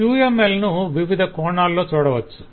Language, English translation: Telugu, uml has can we look at in various dimensions